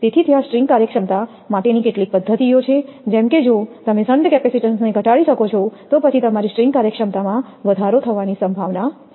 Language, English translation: Gujarati, So, there are some methods for string efficiency is there; such that if you can reduce the shunt capacitance, then there is a possibility to increase the; your string efficiency